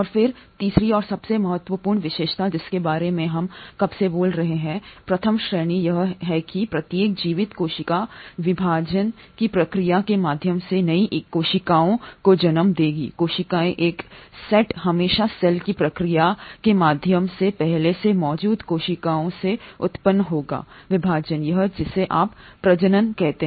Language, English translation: Hindi, And then the third and the most important feature which we have been speaking about since the first class is that each living cell will give rise to new cells via the process of cell division that is one set of cells will always arise from pre existing cells through the process of cell division or what you call as reproduction